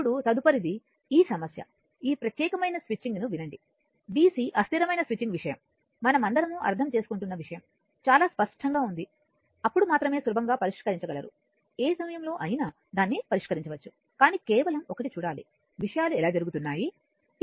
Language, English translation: Telugu, Now, next is this problem listen this particular the switching that dc transient the switching thing, only thing is that you are we are all understanding has be very clear then only you one can easily solve it in no time you can solve it, but just one has to see that how things are happening